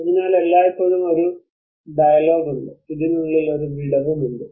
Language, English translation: Malayalam, So there is always a dialogue there is a gap which occurs within this